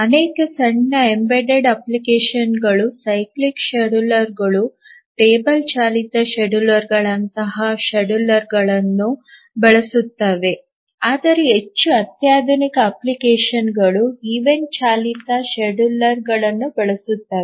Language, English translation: Kannada, Many small embedded applications use schedulers like cyclic schedulers or table driven schedulers but more sophisticated applications use event driven schedulers